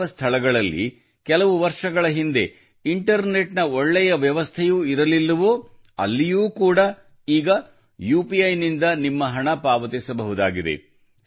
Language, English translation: Kannada, In places where there was no good internet facility till a few years ago, now there is also the facility of payment through UPI